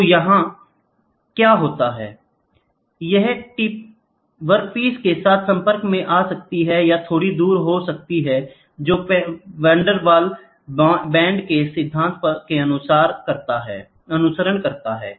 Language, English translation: Hindi, So, here what that happens is; this tip will can come in contact with the work piece can be slightly far away which follows the principle of Van der Waals bond